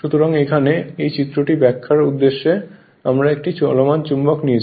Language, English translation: Bengali, So, there in this diagram in this diagram for the purpose of explanation we have taken a moving magnet